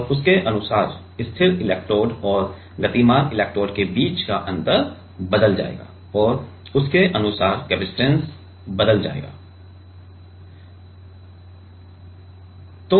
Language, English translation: Hindi, And, according to that the gap between the gap between the fixed electrode and the moving electrode will change and according to that the capacitance will change and by measuring